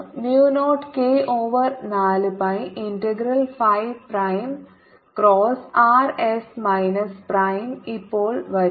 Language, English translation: Malayalam, this is four pi mu zero k over four pi integral phi prime cross r s minus s prime